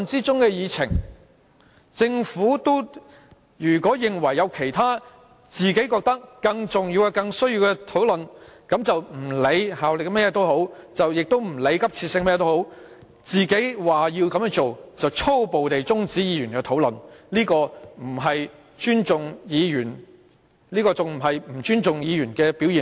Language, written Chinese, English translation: Cantonese, 政府如果認為有其他更重要的事項，就連我們在討論中的法案也不用理會其效力或急切性，便粗暴地中止議員的討論，這不是對議員不尊重的表現嗎？, If the Government considers some issues more important and thus abruptly adjourns Members discussion on a Bill with legal effect and has great urgency is it not a disrespect for Members?